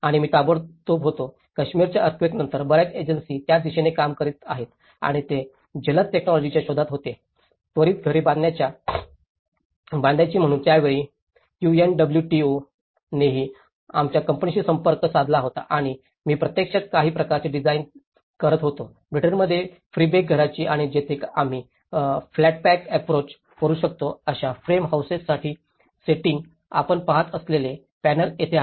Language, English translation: Marathi, And I was immediately, after the post Kashmir earthquake, a lot of agencies were working towards it and they were looking for a quick technologies, quickly build houses that is why at that time UNWTO has also approached our company and I was actually designing some kind of prefab houses from Britain and where setting for frame houses where we can do a flat pack approach, what you can see is the panels here